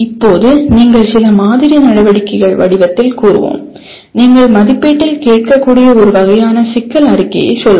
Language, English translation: Tamil, Now some sample activities which we will state in the form of let us say a kind of a problem statement what you can ask in assessment